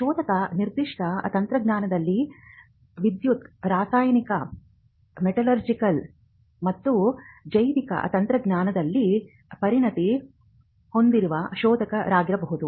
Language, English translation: Kannada, Now searchers specialize in different areas, they could be searchers who are specialized in electrical chemical, metallurgical or electronical and biotechnology